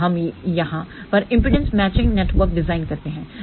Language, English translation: Hindi, Then, we design impedance matching network over here